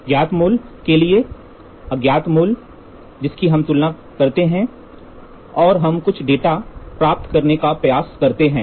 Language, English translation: Hindi, Unknown value to a known value we compare and we try to get some data